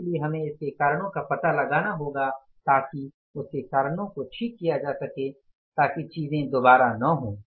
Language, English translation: Hindi, So we will have to find out the reasons for that, fix up the reasons for that so that these things do not hucker again